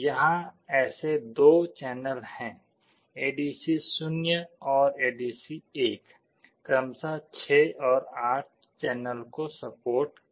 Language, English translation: Hindi, Here there are 2 such channels ADC 0 and ADC1 supporting 6 and 8 channels respectively